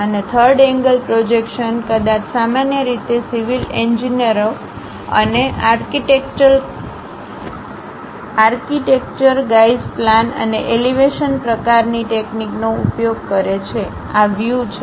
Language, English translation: Gujarati, And also third angle projection, perhaps typically civil engineers and architecture guys use plan and elevation kind of techniques, these are views